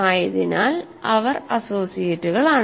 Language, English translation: Malayalam, So, these are also associates